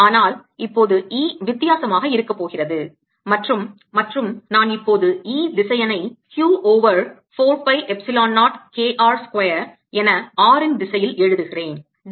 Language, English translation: Tamil, but now e is going to be different and let me write e vector now is going to be q over four pi epsilon zero k r square in the r direction